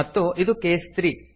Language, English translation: Kannada, And this is case 3